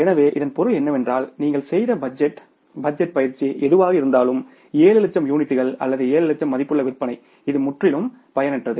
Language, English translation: Tamil, So, it means whatever the budgeted budgetary exercise you did at the level of 7 lakh units or 7 lakh worth of sales that is totally useless